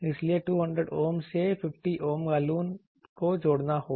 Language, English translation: Hindi, So, a 200 ohm to 50 Ohm Balun needs to be added